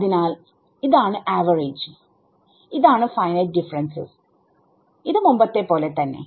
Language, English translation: Malayalam, So, this is average and this is finite difference and this is as before